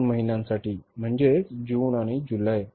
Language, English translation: Marathi, Two months, June and July